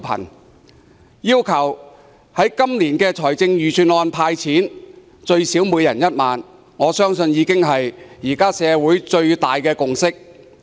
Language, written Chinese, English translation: Cantonese, 我要求政府在財政預算案公布"派錢"，最少每人1萬元，我相信這是現時社會最大的共識。, I request the Government to announce in its Budget cash handouts of at least 10,000 for everyone . I think this is something which has the greatest consensus in the community right now